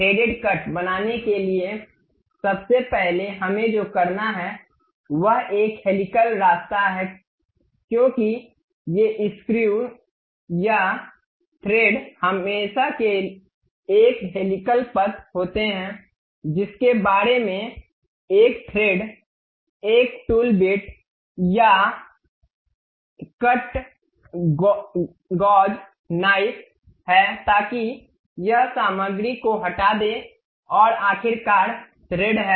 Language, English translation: Hindi, To make thread cut first what we have to do is a helical path because these screws or threads are always be having a helical path about which a thread, a tool bit or cut really goes knife, so that it removes the material and finally, we will have the thread